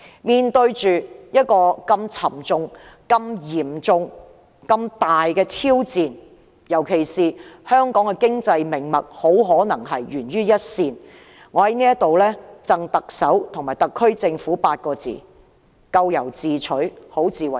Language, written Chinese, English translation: Cantonese, 面對這個沉重、嚴重和大型挑戰，特別是香港的經濟命脈很可能會懸於一線，我在此贈特首和特區政府8個字：咎由自取，好自為之。, In the face of this grave and big challenge especially when Hong Kongs economy will likely be hanging by a thread I would like to give the Chief Executive and the SAR Government the following advice serve you right and conduct yourself well